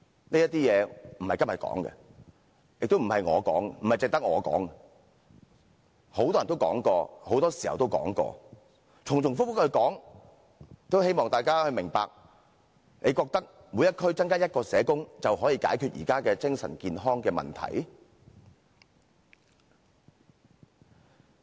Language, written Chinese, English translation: Cantonese, 這些事並非今天提出，亦不是只有我提出，很多人都說過，很多時候都說過，重重複複地提出，只是希望大家明白，你認為在每區增加1名社工便能解決現時精神健康的問題嗎？, All these problems are not new to us and they are raised not only by me but by many people for a great number of times . We bring this up repeatedly just to let people reflect whether it is possible to resolve the existing problems in mental health with the addition of only one social worker to each district